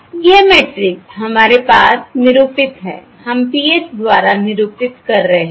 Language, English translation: Hindi, alright, This matrix we have denote, we are denoting by PH